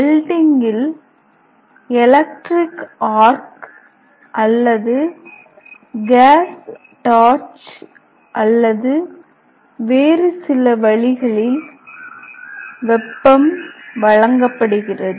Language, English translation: Tamil, In welding the heat is supplied either by electric arc or by gas torch or by some other means